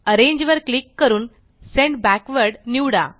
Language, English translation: Marathi, Click Arrange and select Send Backward